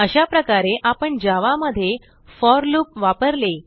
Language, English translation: Marathi, In this tutorial we have learnt how to use for loop in java